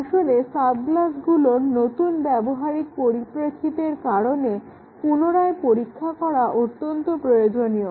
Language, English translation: Bengali, Actually retesting is necessary because of the new context of use in the sub class